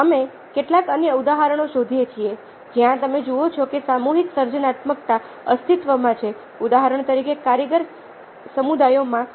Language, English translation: Gujarati, ah, we find that there are certain other examples where, ah you see that collective creativity it has existed, as for example, in artisan communities